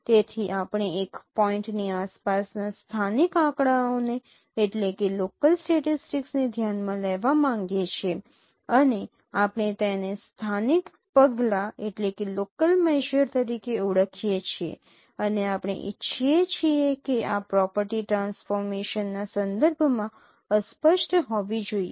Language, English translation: Gujarati, So, we would like to consider the local statistics around the, around a point and we call it as a local measure and we we desired that this property should be invariant with respect to transformation